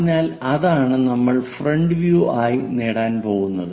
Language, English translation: Malayalam, So, that is what we are going to get as front view